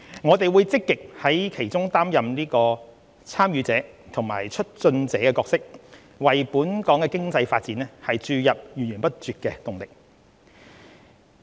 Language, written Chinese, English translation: Cantonese, 我們會積極在其中擔任"參與者"和"促進者"角色，為本港經濟發展注入源源不絕的動力。, We will be a proactive participant and facilitator of the development blueprint thereby bringing continuous impetus to our economy